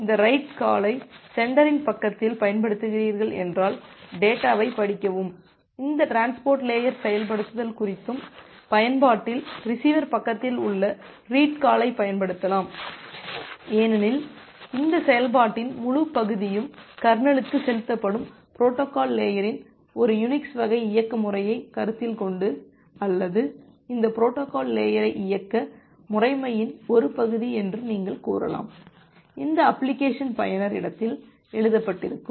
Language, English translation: Tamil, So, if you are using this write call at the sender side, then you can use the read call at the receiver side at the application to read the data and regarding this transport layer implementation, as we have seen that this entire part of the implementation of the protocol stack that is implemented inside the Kernel, if you consider an a Unix type of operating system or broadly, you can say that this protocol stack is the part of the operating system where as this application is written in the user space